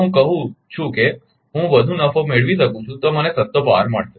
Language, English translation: Gujarati, If I say I can make more profit I am getting cheapest power